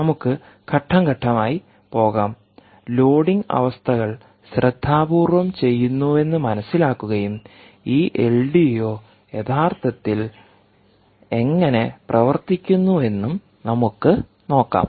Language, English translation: Malayalam, lets go step by step and understand this is loading conditions carefully and let us see exactly how this l d o actually functions